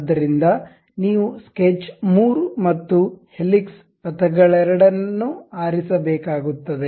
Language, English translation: Kannada, So, you have to pick both sketch 3, and also helix paths